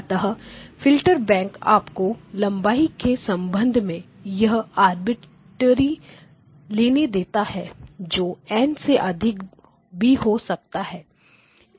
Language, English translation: Hindi, So, filter bank actually allows you to have filter length arbitrary it can be greater than N